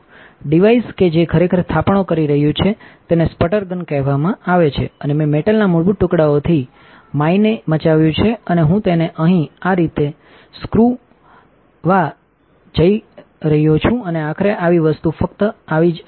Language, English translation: Gujarati, The device that is actually doing the depositing is called a sputter gun and I machined mine from basic pieces of metal and I am going to unscrew it here like this and eventually the whole thing just comes off like so